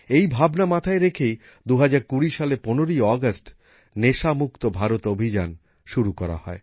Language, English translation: Bengali, With this thought, 'NashaMukt Bharat Abhiyan' was launched on the 15 August 2020